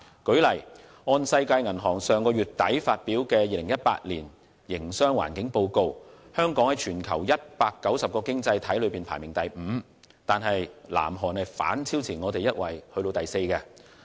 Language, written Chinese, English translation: Cantonese, 舉例說，根據世界銀行於上月底發表的《2018年營商環境報告》，香港在全球190個經濟體中排名第五，但南韓已反超香港排在第四位。, For example according to the Doing Business 2018 published by the World Bank at the end of last month Hong Kong ranked fifth among the worlds 190 economies but South Korea has overtaken Hong Kong to reach the fourth place